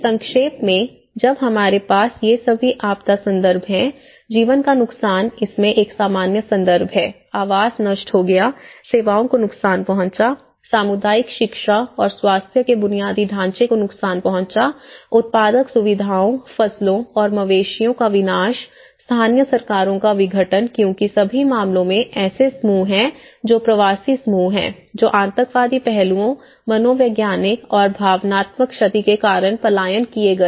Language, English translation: Hindi, (Refer Slide : 29:49) But summarizing, putting altogether is when we have these all the disaster context, we have the loss of lives which is a common context, destroyed housing, damages to services, damages to community education and health infrastructure, destruction of productive facilities, crops and cattle, disruption of local governments because in all the cases there are groups which are migrant groups which have migrated because of terror aspects, psychological and emotional damages